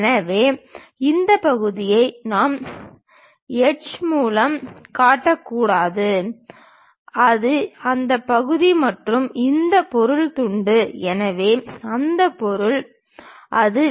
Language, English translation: Tamil, So, this part we should not show it by any hatch that part is that and this material is slice; so, that material is that